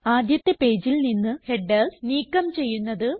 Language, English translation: Malayalam, How to remove headers from the first page